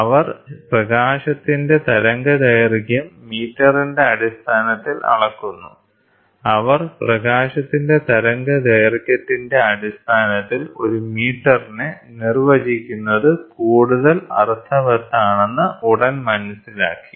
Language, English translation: Malayalam, They measure the wavelength of light in terms of metres, they soon realise that it is made more sense to define a metre in terms of wavelength of light